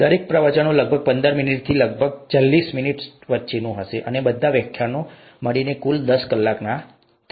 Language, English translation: Gujarati, In other words, each lecture would be about anywhere between fifteen minutes to about forty minutes and all the lectures put together would be about a total of ten hours